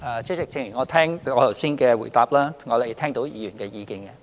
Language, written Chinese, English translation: Cantonese, 主席，正如我剛才的答覆，我們已聽到議員的意見。, President as I said in my earlier reply we have heard the views of Members